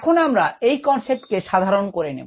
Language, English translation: Bengali, let us generalized that concept